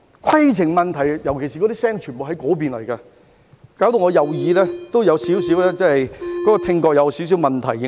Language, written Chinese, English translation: Cantonese, "規程問題"，尤其是聲音全部都從那邊傳來，令我右耳的聽覺也有少許問題。, As the voices calling for a point of order all came from that side I suffered hearing loss in my right ear to a certain extent